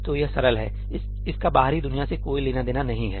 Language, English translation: Hindi, So, this is simple, this has nothing to do with the outside world